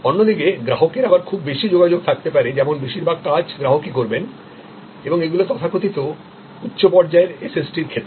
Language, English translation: Bengali, On the other hand, there can be high involvement of customer, where most of the work will be done by the customer and these are the arenas of so called high and SST